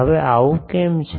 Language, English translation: Gujarati, Now why this is so